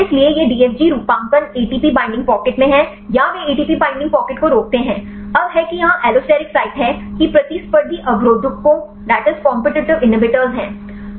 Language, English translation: Hindi, So, this DFG motifs either it is in the ATP binding pocket or they block ATP binding pocket; now that is the allosteric site here that is the competitive inhibitors